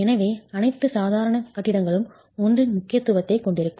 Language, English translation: Tamil, So all ordinary buildings would have an importance factor of 1